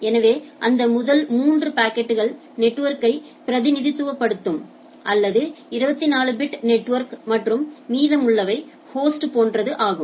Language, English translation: Tamil, So, the first three octet they represent that network or the 24 bit network and rest is the host of the thing right